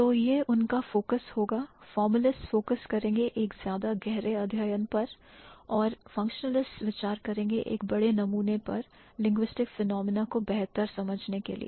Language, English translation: Hindi, The formalists are going to focus more in depth studies and the functionalists are going to consider a huge or a bigger sample to understand the linguistic phenomena better